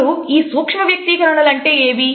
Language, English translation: Telugu, So, what are the micro expressions